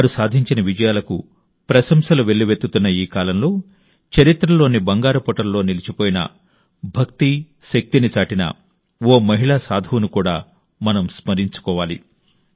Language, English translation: Telugu, In this era, when their achievements are being appreciated everywhere, we also have to remember a woman saint who showed the power of Bhakti, whose name is recorded in the golden annals of history